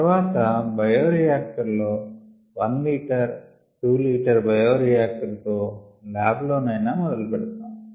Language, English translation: Telugu, then in a bioreactor, may be a one liter, two liter bio reactor and may be at the in the lab itself